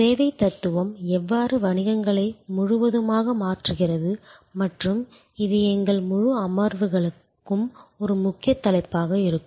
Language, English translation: Tamil, And how the service philosophy is changing businesses all across and that will be a core topic for our entire set of sessions